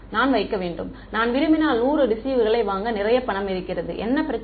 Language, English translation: Tamil, I have to put, I have a lot of money I can buy 100 receivers if I want; what is the problem